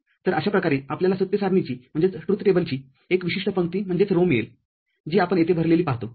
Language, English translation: Marathi, So, this way we get one particular row of the truth table, which we see over here filled, filled up